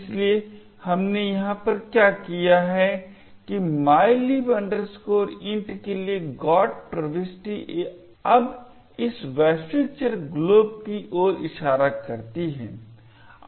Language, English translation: Hindi, So, what we have done over here is that the GOT entry for mylib int now points to this global variable glob